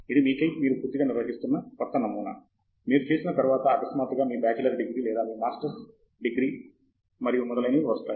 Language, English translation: Telugu, This is a completely new pattern that you are handling, which comes, you know, all of a sudden after you do your bachelor’s degree or your first masters degree and so on